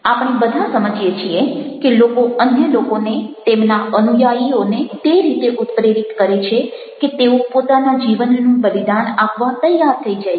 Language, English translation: Gujarati, we all understand that there are people who motivate people who we met motivate their followers in such a way that they become ready to sacrifice their life